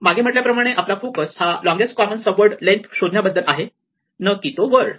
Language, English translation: Marathi, And now we said earlier that we are focusing on the length of the longest common subword not the word itself in the reason